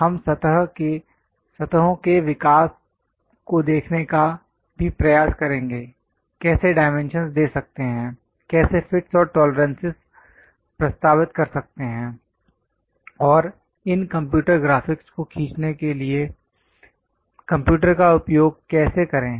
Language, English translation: Hindi, development of surfaces we will try to look at, and few drawing practices, and how to give dimensions, how to represent fits and tolerances, and also how to use computers to draw these computer graphics